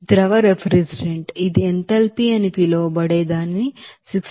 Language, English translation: Telugu, So we can have this you know, liquid refrigerant, what it is known enthalpy it is given 64